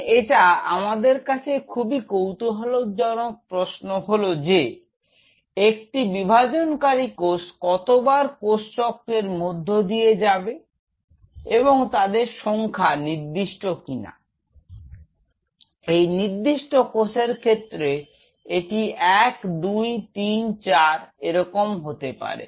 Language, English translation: Bengali, Now that brings us to a very interesting question that how many times a dividing cell will be going through this cycle is this number finite or is this number infinite say for example, a particular cell like this how many cycles 1 2 3 4 likewise one and so forth how many cycles it can do